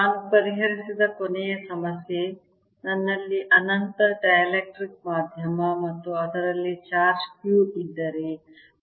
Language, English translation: Kannada, the last problem that we solved was if i have an infinite dielectric medium and a charge q in it